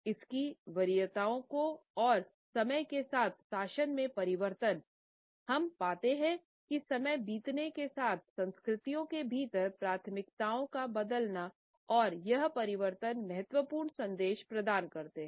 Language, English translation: Hindi, Its preferences and regime change over time through the passage of time we find that the preferences within cultures keep on changing and these changes imparts important messages